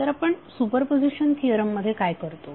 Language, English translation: Marathi, So what you do in superposition theorem